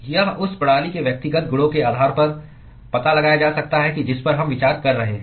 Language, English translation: Hindi, It can be detected based on the individual properties of the system that we are considering